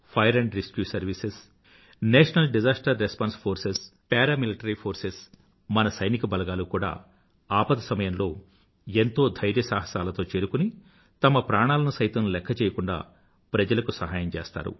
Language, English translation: Telugu, Our Fire & Rescue services, National Disaster Response Forces Armed Forces, Paramilitary Forces… these brave hearts go beyond the call of duty to help people in distress, often risking their own lives